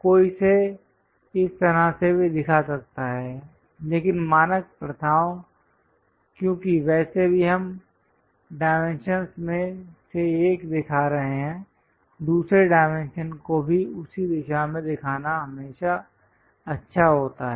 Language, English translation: Hindi, One can also show it in this way, but the standard practices because anyway we are showing one of the dimension, it is always good to show the other dimension required also in the same direction